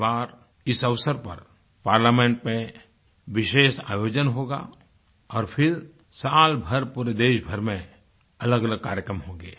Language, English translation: Hindi, This occasion will be marked by a special programme in Parliament followed by many other events organised across the country throughout the year